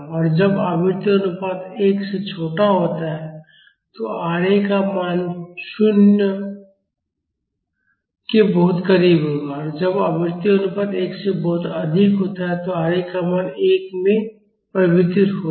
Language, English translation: Hindi, When the frequency ratio is smaller than 1, the Ra will have values very close to 0 and when the frequency ratio is much higher than 1, the value of Ra will converge to 1